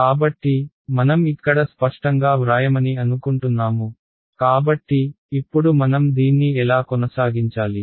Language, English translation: Telugu, So, I think I will not clearly write it over here ok, so, now how do we actually proceed with this